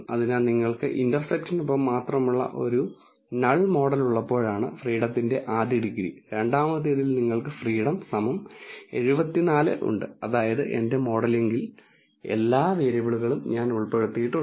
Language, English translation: Malayalam, So, the first degrees of freedom is when you have a null model that is only with the intercept and in the second case you have a degrees of freedom equal to 74 which means that I have included all the variables into my modeling